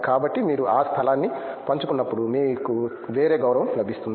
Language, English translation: Telugu, So, when you share that space you get a different respect